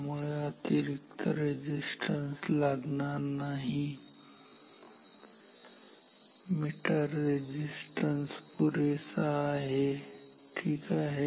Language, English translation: Marathi, So, no extra resistance is required meter resistant itself is enough ok